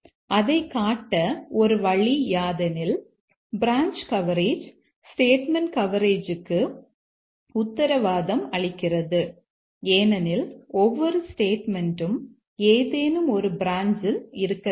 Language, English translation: Tamil, One way we could show that branch coverage guarantee statement coverage because every statement must lie on some brands